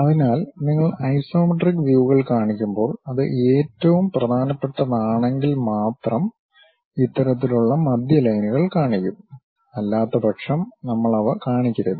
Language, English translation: Malayalam, So, when you are showing isometric views; if it is most important, then only we will show these kind of centerlines, otherwise we should not show them